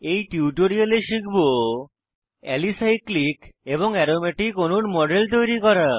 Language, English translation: Bengali, In this tutorial, we will learn to, Create models of Alicyclic and Aromatic molecules